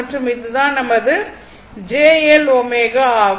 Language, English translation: Tamil, So, this is this is your R, and this is j L omega